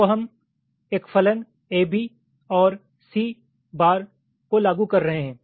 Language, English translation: Hindi, so we are implementing a function a, b or c bar